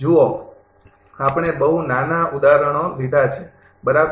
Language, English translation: Gujarati, Look, we have taken a very small example, right